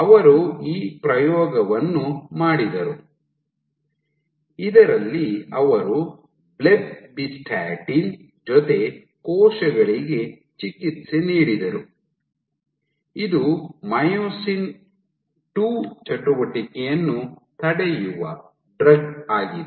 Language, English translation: Kannada, So, they did this experiment in which at the leading edge they treated cells with Blebbistatin this is a drug which inhibits myosin II activity